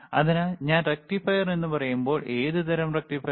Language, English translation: Malayalam, So, when I say rectifier, we are using rectifier what kind of rectifier what kind rectifier